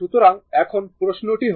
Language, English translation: Bengali, So, now question is that for